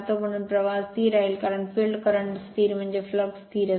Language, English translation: Marathi, Therefore, flux will remain constant because field current you will constant means the flux is constant